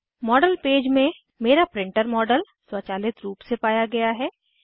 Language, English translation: Hindi, In the Model page, my printer model is automatically detected